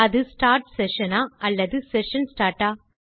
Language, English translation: Tamil, Is it start session or session start